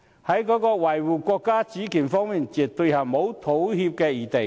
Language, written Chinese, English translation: Cantonese, 在維護國家主權方面，絕對沒有妥協餘地。, There is no room for any compromise when it comes to defending the countrys sovereignty